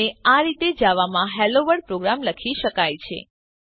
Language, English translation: Gujarati, Here these are complete HelloWorld program in Java